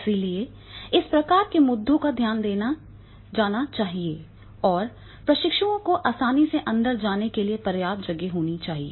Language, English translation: Hindi, So this type of the issues are to be taken care of and there should be enough space for the trainees to move easily around in